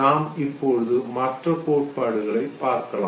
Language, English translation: Tamil, We come to the other theory now